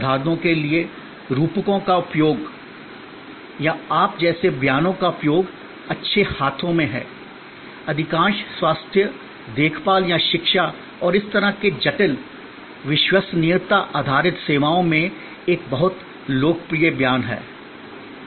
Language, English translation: Hindi, Or the use of metaphors for examples, or use of statements like you are in good hands, a very popular statement in most health care or education and such complex, credence based services